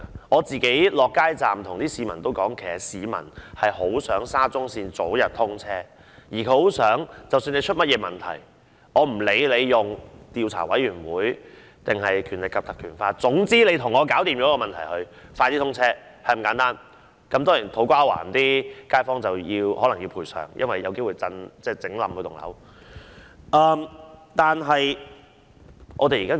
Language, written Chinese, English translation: Cantonese, 我到街站跟市民溝通，其實市民很想沙中線早日通車，而無論出現甚麼問題，不管是由政府的調查委員會還是引用《條例》調查，總之把問題解決，早日通車，便是那麼簡單，當然還要賠償給土瓜灣的街坊，因為工程有機會令他們的大廈倒塌。, I have talked to the public at street booths and actually the people very much wish to see the commissioning of SCL as early as possible . No matter what problems have emerged or whether an inquiry is conducted by the Governments Commission or by invoking PP Ordinance they only wish that the problem can be solved and SCL can commence operation early . It is just this simple and of course it is necessary to make compensation to residents in To Kwa Wan because there is a chance that the construction works can cause their buildings to collapse